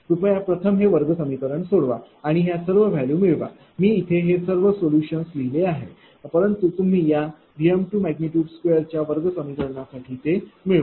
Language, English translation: Marathi, Please solve this quadratic equation and get all these value I am writing directly all the solution, but you get it is a quadratic because of v m 2 square you get it, right